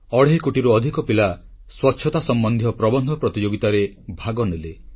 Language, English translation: Odia, More than two and a half crore children took part in an Essay Competition on cleanliness